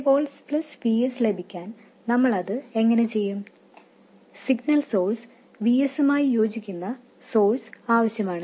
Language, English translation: Malayalam, To get 3 volts plus VS we need to have source corresponding to VS, the signal source